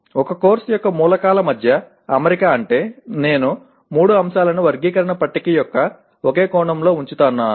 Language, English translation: Telugu, Alignment among the elements of a course means that I am putting all the three elements in the same cell of the taxonomy table